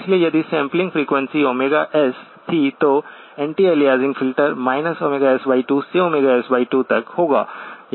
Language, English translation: Hindi, So if the sampling frequency was Omega S, the anti aliasing filter would be from minus Omega S by 2 to Omega S by 2